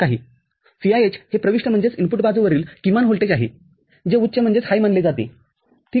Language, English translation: Marathi, VIH is the minimum voltage at the input side which is considered as high, ok